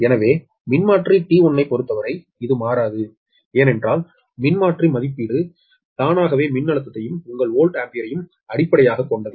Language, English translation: Tamil, so for transformer t one, this will not change, it will remain as it is because transformer rating itself has been taken as a base, that voltage as well as your volt ampere, right